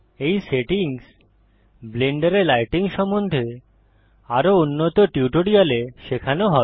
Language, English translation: Bengali, These settings will be covered in more advanced tutorials about lighting in Blender